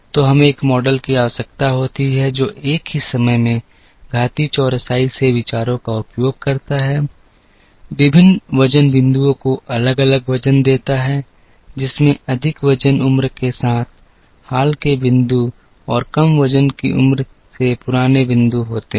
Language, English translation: Hindi, So, we need a model, which uses ideas from exponential smoothing at the same time gives different weights to different data points with more weight age to the recent points and lesser weight age to the old points